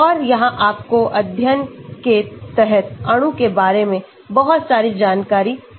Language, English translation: Hindi, And it can give you a lot of information regarding the molecule under study